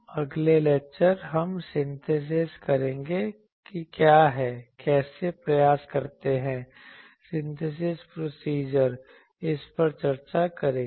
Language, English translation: Hindi, The next lecture, we will go to that what is the synthesis, how to do the attempt the synthesis procedure that we will discuss